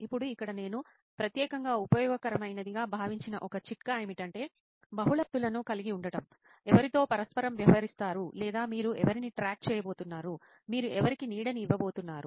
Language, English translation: Telugu, Now again a tip here which I found it particularly useful is to have multiple personas who will be interacting with or whom you are going to track, whom you’re going to shadow